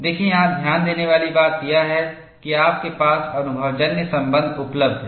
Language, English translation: Hindi, See, the point here to note is, you have empirical relations available